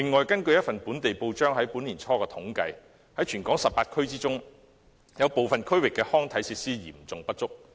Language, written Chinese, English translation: Cantonese, 根據一份本地報章年初的統計，全港18區中，有部分地區的康體設施嚴重不足。, According to a survey conducted by a local newspaper earlier this year there is a serious shortage of recreational and sports facilities in some of the 18 districts of Hong Kong